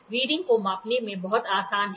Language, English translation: Hindi, The readings are very easy to measure